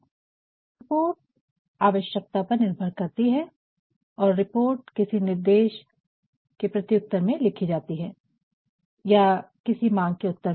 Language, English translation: Hindi, So, a report is need based and the report is actually written in response to some instructions or in response to certain demands